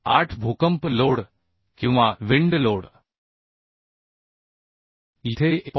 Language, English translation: Marathi, 8 earthquake load or wind load here it is 1